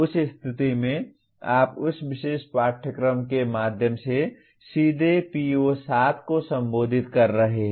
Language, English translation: Hindi, In that case you are directly addressing PO7 through that particular course